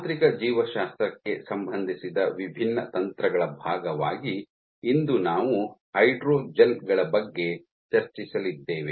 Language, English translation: Kannada, So, as part of the different techniques relevant to mechanobiology today we are going to discuss about hydrogels